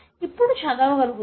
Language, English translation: Telugu, Now I can read